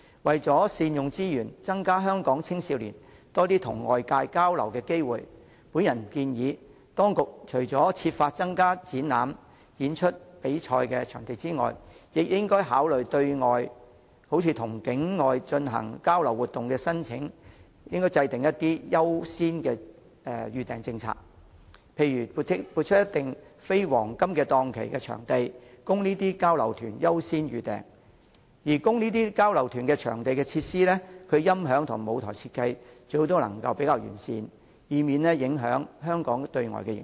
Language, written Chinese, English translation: Cantonese, 為善用資源，增加香港青少年與外界交流的機會，我建議當局除了設法增加展覽、演出及比賽場地之外，亦應考慮針對與境外團體進行交流活動的申請，制訂優先預訂政策，例如撥出一定比例的非黃金檔期的場地，讓這些交流團優先預訂；而供這類交流團租用的場地設施，其音響及舞台設計最好是較為完善的，以免影響香港對外的形象。, To better utilize resources and increase the opportunities for young people in Hong Kong to have exchanges with the outside world I propose that the authorities should try to increase venues for exhibitions performances and competitions . On top of that the authorities should also consider formulating a priority booking policy for applications relating to exchange activities with non - Hong Kong organizations say setting aside a certain proportion of the non - prime time slots for organizers of these exchanges to make advance venue bookings . And there should be better audio system and stage design for the venues made available for bookings by organizers of these exchanges so as to avoid tarnishing the external image of Hong Kong